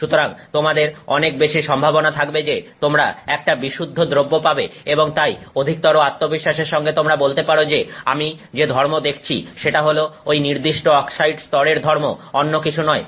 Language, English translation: Bengali, So, you have much greater possibility that you are getting a much purer product and therefore with greater confidence you can say that you know the property I am seeing is that property of that particular oxide layer rather than something else